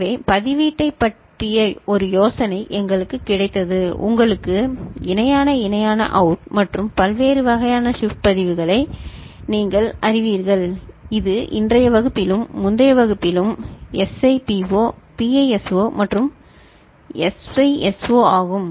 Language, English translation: Tamil, So, we got an idea of the register and you know the parallel in parallel out and different kinds you know shift registers that is a SIPO, PISO and SISO in today’s class as well as the previous class as well as what is in the making of universal shift register